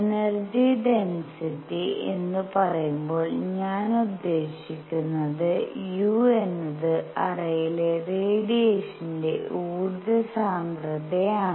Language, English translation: Malayalam, And when I say energy density I mean u is the energy density of radiation in the cavity